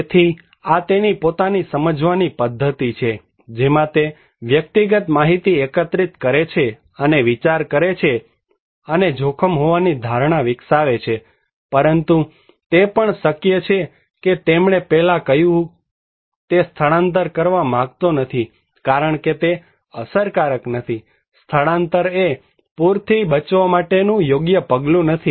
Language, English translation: Gujarati, So, this is his own cognitive mechanism, in which individual collect and process informations and develops the perception of risk, but it is also possible that, he first said that I do not want to evacuate because this is not effective, evacuation is not a right measure to protect myself from flood